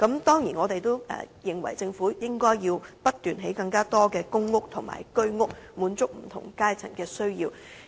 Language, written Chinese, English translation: Cantonese, 當然，我們認為政府應不斷興建更多公屋和居者有其屋計劃單位，以滿足不同階層的需要。, We certainly think that the Government should keep building more PRH units and Home Ownership Scheme units so as to meet the needs of people from various strata